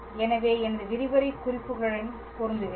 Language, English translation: Tamil, So, I am matching with my lecture notes